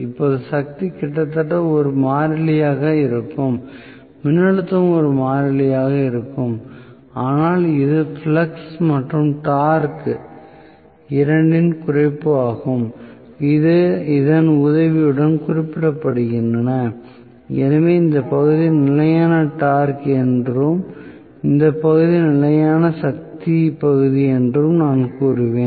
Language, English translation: Tamil, Now, the power will almost remain as a constant here the voltage will also remain as a constant but this will be the reduction in flux and torque both are specified with the help of this, so, I would say this region is constant torque region and this region is constant power region